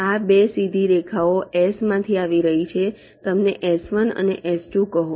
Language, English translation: Gujarati, these two straight lines are coming from s, call them s one and s two